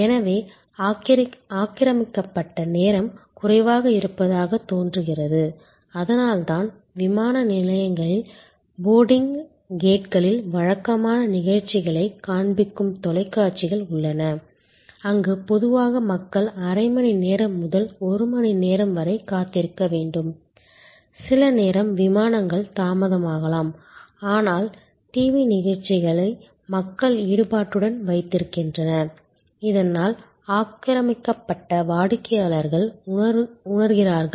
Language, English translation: Tamil, So, occupied time appears to be shorter; that is why there are televisions showing regular programs at boarding gate of airports, where typically people have to wait for half an hour to one hour, some time the flights may be delayed, but the TV shows keep people engaged, so that occupied customers feel better